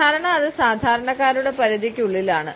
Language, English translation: Malayalam, Normally it is within reach of common man